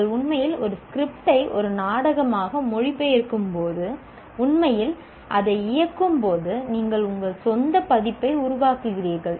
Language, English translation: Tamil, When you are actually translating a script into a play and actually play it, you are producing your own version